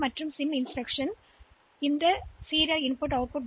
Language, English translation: Tamil, As we have seen previously that this RIM and SIM instruction